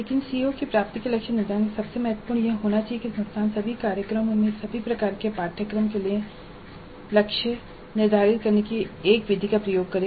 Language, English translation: Hindi, But the most important aspect of setting the attainment targets for COs would be that the institution should use one method of setting the targets for all the courses in all programs